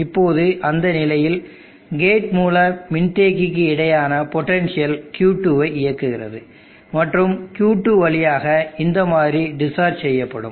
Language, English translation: Tamil, Now during that condition, the potential across the gate source capacitance will drive Q2 and discharge through Q2 in this fashion